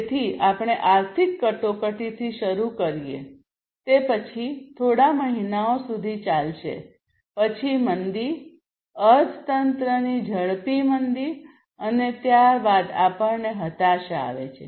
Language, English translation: Gujarati, So, we start with the economic crisis then that is that will take place for few months, then recession, basically it is a slowing down, a rapid slowdown of the economy and thereafter we have the depression